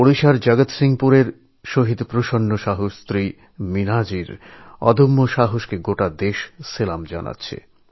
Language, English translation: Bengali, The country salutes the indomitable courage of Meenaji, wife of Martyr PrasannaSahu of Jagatsinghpur, Odisha